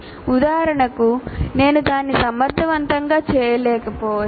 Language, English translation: Telugu, For example, I may not be able to make it efficient